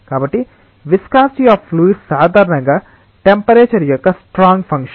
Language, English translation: Telugu, So, viscosity of fluids is generally a strong function of temperature